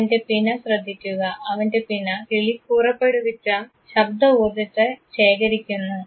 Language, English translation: Malayalam, Look at his pinna, his pinna collects the sound energy that is generated by the bird